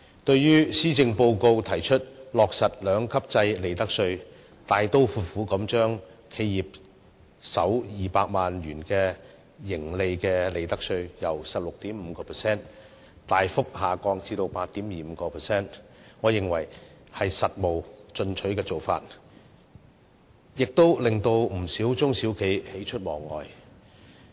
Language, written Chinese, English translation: Cantonese, 對於施政報告提出落實利得稅兩級制，大刀闊斧地把企業首200萬元盈利的利得稅稅率由 16.5% 大幅調低至 8.25%， 我認為是務實進取的做法，亦令不少中小企喜出望外。, The Policy Address proposes the implementation of the two - tier profits tax system slashing the profits tax rate for the first 2 million of profits of enterprises from 16.5 % to 8.25 % . I consider the initiative pragmatic and progressive and many small and medium enterprises SMEs are overjoyed